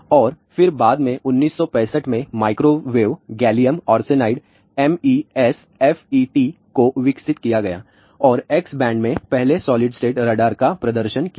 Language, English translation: Hindi, And then later on microwave gallium arsenide MESFETs were developed in 1965 and in 1970, the first solid state radar was demonstrated at X band